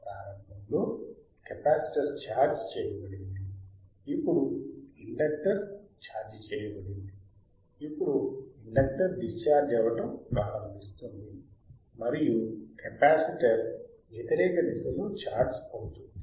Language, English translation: Telugu, ; Iinitially the capacitor is charged, now the inductor is charged, now the inductor starts discharging and capacitor will charge charging in reverse direction